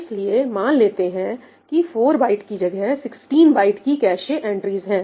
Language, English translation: Hindi, So, let us say that instead of 4 bytes I start maintaining 16 byte cache entries